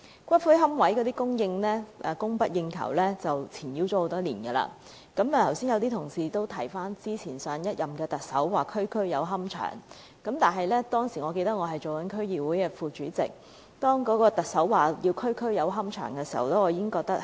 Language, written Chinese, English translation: Cantonese, 骨灰龕位供不應求已纏繞我們多年，有同事剛才提到上屆特首說過要"區區有龕場"，當時我是區議會副主席，聽到特首這話，我非常懷疑是否可行。, Some colleagues have just mentioned the remarks made by the former Chief Executive of having a columbarium in every district . At that time I was the deputy DC chairman . When I heard this remark I strongly doubt if that was feasible